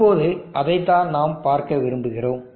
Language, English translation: Tamil, Now that is what we want to see